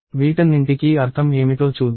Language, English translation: Telugu, Let us see, what all these means